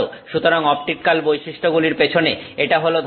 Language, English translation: Bengali, So, this is the idea behind the optical properties